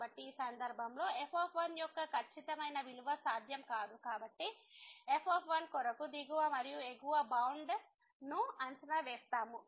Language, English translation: Telugu, So, in this case the exact value of is not possible so, we will estimate the lower and the upper bound for